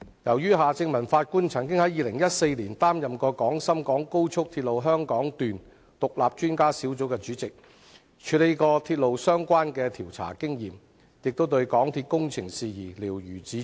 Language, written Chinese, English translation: Cantonese, 由於法官夏正民曾於2014年擔任廣深港高速鐵路香港段獨立專家小組主席，有鐵路相關事宜的調查經驗，亦對香港鐵路有限公司的工程事宜瞭如指掌。, Since Mr Justice Michael John HARTMANN was the Chairman of the Hong Kong Section of the Guangzhou - Shenzhen - Hong Kong Express Rail Link Independent Expert Panel in 2014 he has experience in investigating railway - related matters and he is also well versed in matters relating to the project works of the MTR Corporation Limited